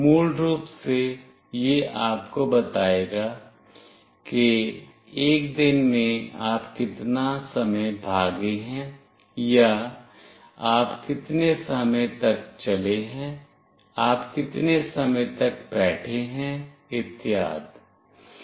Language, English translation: Hindi, Basically it will tell you that in a day how much time you have run or how much time you have walked, how much time you are sitting and so on